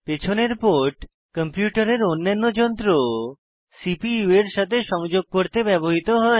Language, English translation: Bengali, The ports at the back, are used for connecting the CPU to the other devices of the computer